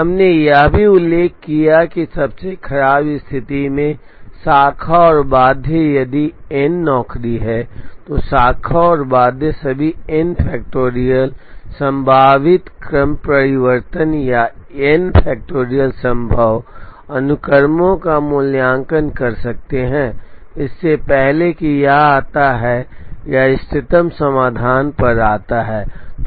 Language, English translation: Hindi, We also mentioned that, the branch and bound in the worst case if there are n jobs, then the branch and bound could evaluate all the n factorial possible permutations or n factorial possible sequences, before it comes or before it arrives at the optimum solution